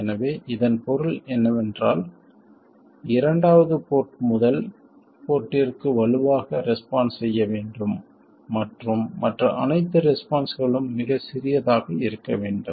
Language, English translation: Tamil, So, all it means is that the second port must respond strongly to the first port and all other responses must be very small